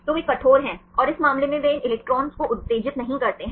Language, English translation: Hindi, So, they are rigid, and in this case they do not disturb these electrons